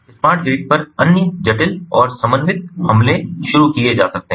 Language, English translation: Hindi, different types of other complex and coordinated attacks can be launched on a smart grid